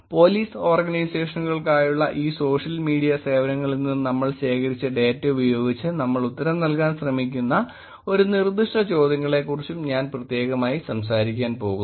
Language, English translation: Malayalam, I am going to be also specifically talking about one specific set of questions that we were trying to answer with the data that we collected from this social media services for the Police Organizations